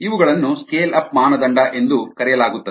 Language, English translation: Kannada, these are called scale up criteria